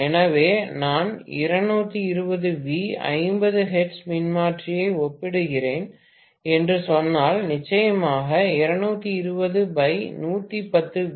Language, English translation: Tamil, So, if I say I am comparing 220 volts 50 hertz transformer, of course 220 slash 110 or something let me say